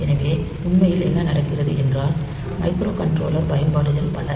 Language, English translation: Tamil, So, actually what happens is that many of the microcontroller applications